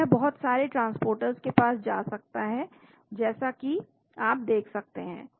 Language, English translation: Hindi, So, it can go to lot of transporters as you can see